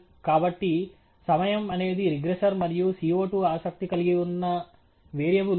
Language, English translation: Telugu, So, the time is a regressor and the CO 2 is the variable of interest